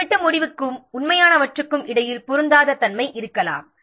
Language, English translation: Tamil, There may be a mismatch between the planned outcome and the actual ones